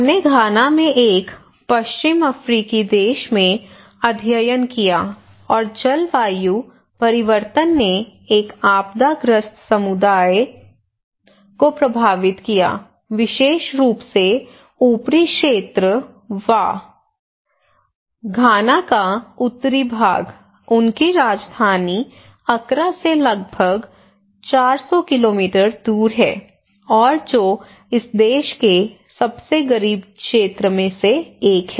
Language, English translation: Hindi, We conducted this study in Ghana a West African country and one of the most climate change impacted a disaster prone community particularly the upper region, Wa region, the northern part of Ghana is around four hundred kilometre from the Accra their capital city and is one of the poorest region of this country